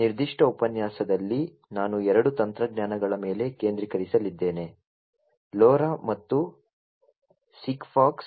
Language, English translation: Kannada, So, in this particular lecture I am going to focus on two technologies; LoRa and SIGFOX